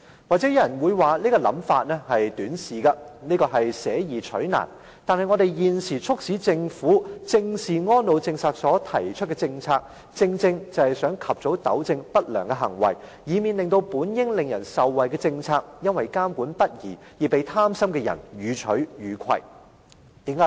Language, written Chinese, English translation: Cantonese, 也許有人會認為我這種想法很短視，而且捨易取難，但我們現時促使政府正視安老政策推出的措施，正正是想及早糾正不良行為，以免這些本應使人受惠的政策，因為監管不力而被貪心的人予取予攜。, Perhaps some people may think that my view lacks foresight and will choose a difficult option rather than an easy one . But the measures we now adopt to force the Government to face squarely the elderly care policy precisely seek to stop undesirable actions early so as to avoid policies that are supposed to be beneficial to the people being abused by greedy people due to lax regulation